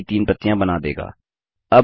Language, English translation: Hindi, This will create three copies of the trees